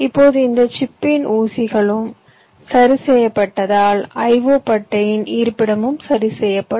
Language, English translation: Tamil, now, because the pins of this chip will be fixed, the location of the i o pads will also be fixed